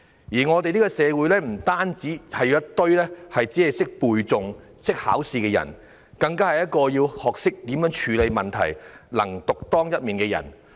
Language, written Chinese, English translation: Cantonese, 現時，社會不僅需要一群只會背誦和考試的人，更需要學懂處理問題，能夠獨當一面的人。, Nowadays our society needs people who are more than being able to learn by rote and pass exams but also capable of resolving problems on their own